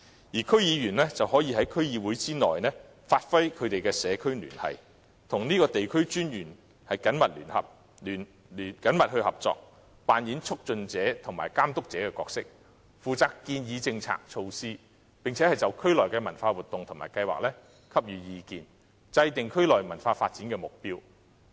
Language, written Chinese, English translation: Cantonese, 而區議員可在區議會內發揮社區聯繫的作用，與地區文化專員緊密合作，扮演促進者和監督者的角色，負責建議政策和措施，並就區內的文化活動和計劃給予意見，制訂區內文化發展的目標。, DC members can perform their function of connecting communities in DCs and closely cooperate with the local commissioners for culture to assume the dual role of facilitator cum supervisor responsible for making policy and initiative suggestions giving advice on the cultural activities and plans in the communities and formulating a goal for local cultural development